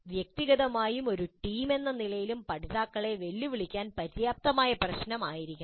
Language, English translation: Malayalam, The problem should be complex enough to challenge the learners individually and as a team